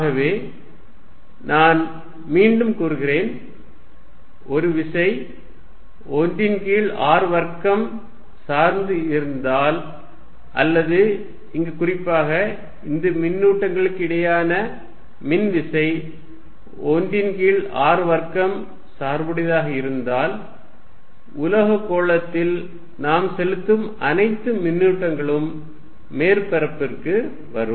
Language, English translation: Tamil, So, I state again if a force is 1 over r square dependent or if this particular case of the electric force between charges is 1 r square dependent, all the charges that we put on a metallic sphere will come to the surface